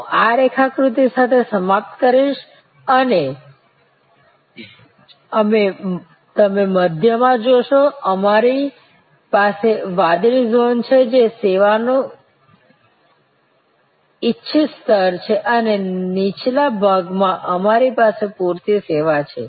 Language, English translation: Gujarati, I will conclude with this particular diagram and you see in the middle, we have the blue zone which is that desired level of service and a lower part we have adequate service